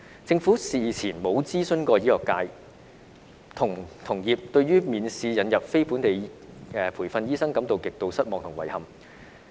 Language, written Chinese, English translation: Cantonese, 政府事前沒有諮詢醫學界，同業對於免試引入非本地培訓醫生感到極度失望及遺憾。, The Government did not consult the medical profession beforehand and members of the profession were extremely disappointed and dismayed at the examination - free admission of NLTDs